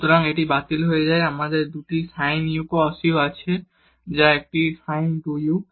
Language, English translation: Bengali, So, this gets cancelled we have 2 sin u cos u which is a sin 2 u